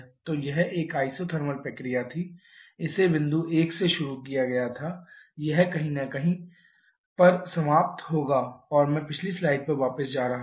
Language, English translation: Hindi, It can be proved also from their expressions so had it been an isothermal process it was started from point 1 it will finish at somewhere here and I am just going back to the previous slide